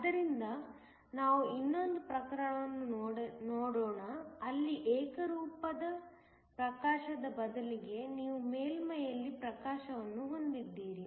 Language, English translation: Kannada, So, let us look at another case, where instead uniform illumination you just have illumination at the surface